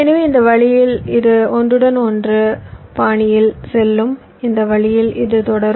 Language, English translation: Tamil, so in this way this will go on in a overlap fashion